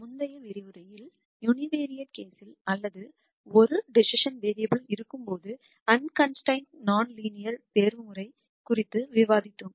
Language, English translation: Tamil, In the previous lecture we described unconstrained non linear optimization in the univariate case or when there was only one decision variable